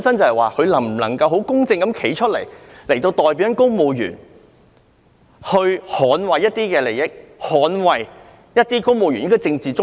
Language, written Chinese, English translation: Cantonese, 他能否公正地代表公務員和捍衞公務員的利益和政治中立？, Can he fairly represent civil servants and defend civil servants interests and political neutrality?